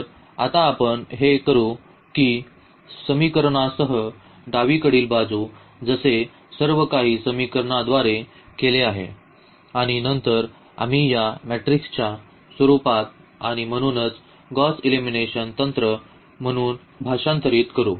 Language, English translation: Marathi, So, here what we do now that the left hand side with the equations as I said also everything with the equation and then we will translate into the form of this matrix and so called the Gauss elimination technique